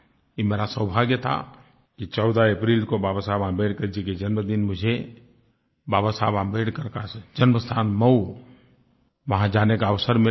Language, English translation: Hindi, It was my good fortune that on 14th April, the birth anniversary of Babasaheb Ambedkar, I got the opportunity to visit his birthplace Mhow and pay my respects at that sacred place